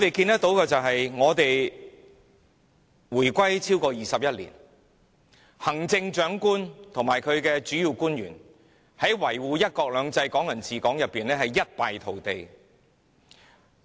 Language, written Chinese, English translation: Cantonese, 香港回歸超過21年，行政長官及其主要官員在維護"一國兩制"和"港人治港"方面，可說一敗塗地。, It is now 21 years into Hong Kongs reunification with the Mainland and the Chief Executive and the principal officials have failed utterly to defend one country two systems and Hong Kong people ruling Hong Kong